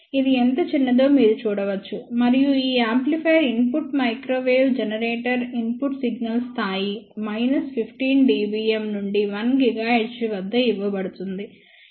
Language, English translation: Telugu, You can see how small it is and this amplifier input is given from a microwave generator input signal level of minus 15 dBm is given at 1 giga hertz